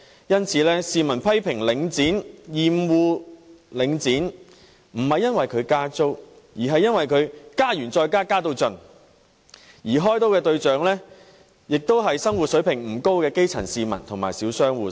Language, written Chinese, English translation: Cantonese, 因此，市民批評領展、厭惡領展，不是因為它加租，而是因為它加了又加、加到盡，而開刀的對象便是生活水平不高的基層市民和小商戶。, Therefore the public criticize and loath Link REIT not because it increases rents but because it increases rents time and again and up to the hilt and the grass roots and small shop operators who do not have a very high standard of living are made targets of such fleecing